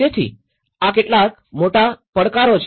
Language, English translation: Gujarati, So, these are some major challenges